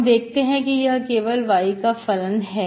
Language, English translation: Hindi, Okay, a function of y only